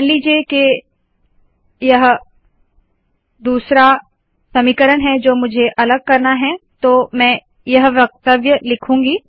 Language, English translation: Hindi, Suppose this is the second equation I want to discretize, So I write this statement